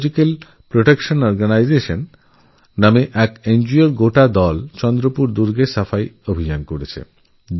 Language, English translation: Bengali, An NGO called Ecological Protection Organization launched a cleanliness campaign in Chandrapur Fort